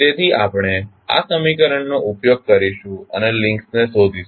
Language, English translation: Gujarati, So, we use this equation and find out the links